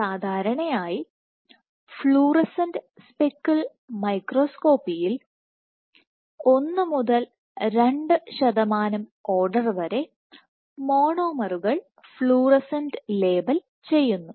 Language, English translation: Malayalam, So, typically for fluorescent speckle microscopy order 1 to 2 percent of monomers are fluorescently labeled